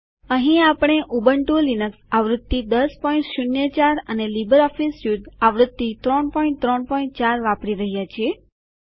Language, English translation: Gujarati, Here we are using Ubuntu Linux version 10.04 and LibreOffice Suite version 3.3.4